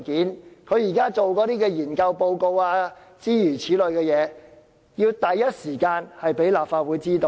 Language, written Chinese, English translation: Cantonese, 政府現在進行的研究報告等，要第一時間讓立法會知道。, The Government should also keep the legislature abreast of its research efforts and other initiatives